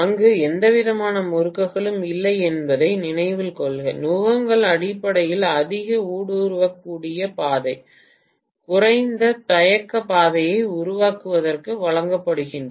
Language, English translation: Tamil, Please note that there are no windings there, the yokes are essentially provided to formulate a high permeability path, low reluctance path